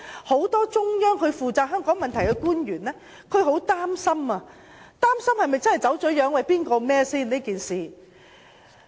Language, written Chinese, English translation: Cantonese, 很多負責香港問題的中央官員都很擔心《基本法》的實踐是否真的走了樣。, Many Mainland officials responsible for Hong Kong affairs are very worried whether the implementation of the Basic Law has been distorted; and if so who should be held responsible?